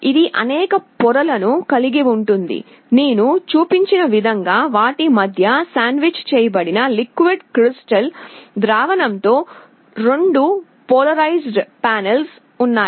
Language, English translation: Telugu, It consists of several layers, there are 2 polarized panels with a liquid crystal solution sandwiched between them as I have shown